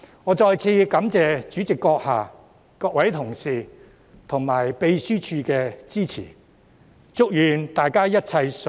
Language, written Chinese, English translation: Cantonese, 我再次感謝主席閣下、各位同事及秘書處的支持。, Once again I wish to thank you President colleagues and the Legislative Council Secretariat for giving me support